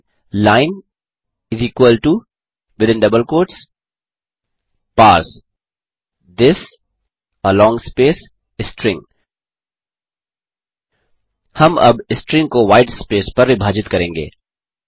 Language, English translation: Hindi, Type line = within double quotes parse this string We are now going to split this string on white space